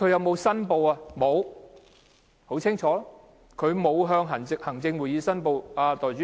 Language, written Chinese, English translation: Cantonese, 沒有，很清楚的是，他沒有向行政會議申報。, No . Evidently he had not declared interests to the Executive Council